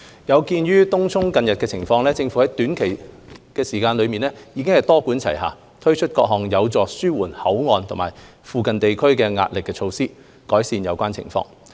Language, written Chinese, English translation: Cantonese, 有見東涌近日的情況，政府在短時間內多管齊下，推出各項有助紓緩口岸和附近地區壓力的措施，改善有關情況。, In view of the recent situation in Tung Chung the Government has rolled out multi - pronged measures within a short time in order to help alleviate the pressure of BCF and its nearby areas improving the relevant situation